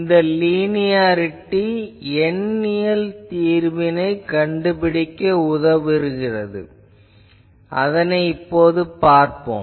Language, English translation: Tamil, So, this linearity actually will help me to make the numerical solution that we will see